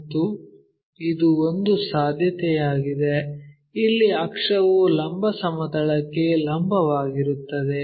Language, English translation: Kannada, And this is one possibility, where axis perpendicular to vertical plane